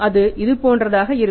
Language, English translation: Tamil, It is something like this